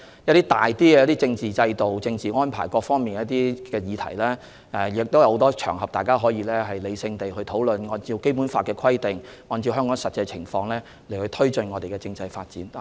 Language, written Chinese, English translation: Cantonese, 一些關於政治制度、政治安排等的大議題，大家可在很多場合理性地討論，按照《基本法》的規定及香港的實際情況，推進我們的政制發展。, There are many occasions on which rational discussions on major issues such as the political system and arrangement can be held and our constitutional development can be taken forward in accordance with the Basic Law and the actual situation in Hong Kong